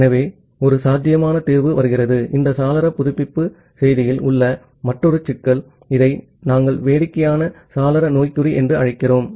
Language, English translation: Tamil, So, one possible solution comes from, another problem in this window update message, which we will call as the silly window syndrome